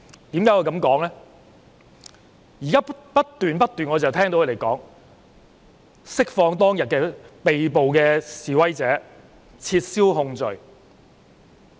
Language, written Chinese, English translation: Cantonese, 現在他們不斷說要釋放當天被捕的示威者，撤銷控罪。, Now they keep demanding the release of the protesters arrested on that day and dropping of charges